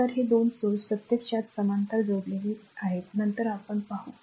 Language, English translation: Marathi, So, this two sources are connected actually in parallel later we will see